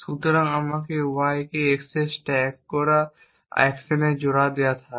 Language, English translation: Bengali, So, let me the couple of the actions stack x on y and the